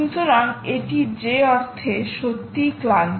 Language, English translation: Bengali, so its really exhausted in that sense, ok